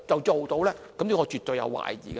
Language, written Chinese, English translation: Cantonese, 這我絕對有懷疑的。, I am very doubtful about this